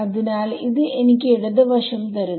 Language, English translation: Malayalam, So, this gave me the left hand side